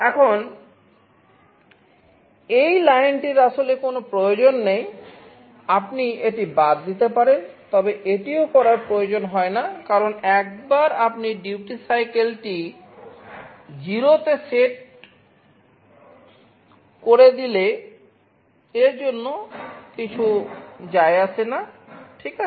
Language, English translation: Bengali, Now, this line is actually not needed this line you can also omit this is not really required because, once you set the duty cycle to 0 the period does not matter ok